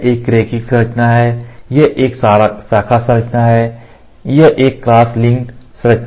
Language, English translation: Hindi, So, this is a linear structure, this is a branched structure, this is a cross linked structure